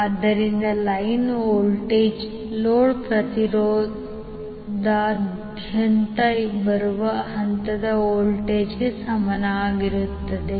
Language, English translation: Kannada, That means line voltage will be equal to phase voltage coming across the load impedance